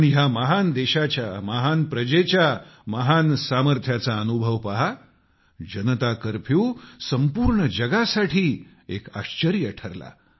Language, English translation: Marathi, Just have a look at the experience of the might of the great Praja, people of this great country…Janata Curfew had become a bewilderment to the entire world